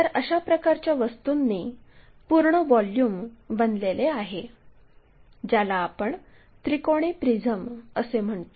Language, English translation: Marathi, So, the complete volume filled by such kind of object, what we call triangular prism